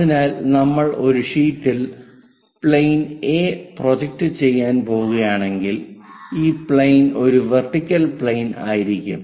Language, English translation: Malayalam, So, this plane A if we are going to project it on a sheet plane, this plane is a vertical plane